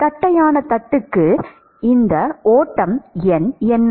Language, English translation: Tamil, What is it for flat plate